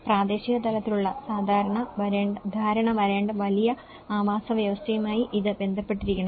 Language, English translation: Malayalam, It has to relate with the larger ecosystem that’s where the regional level understanding has to come